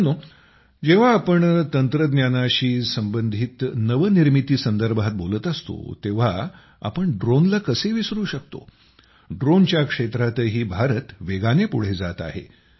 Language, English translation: Marathi, Friends, when we are talking about innovations related to technology, how can we forget drones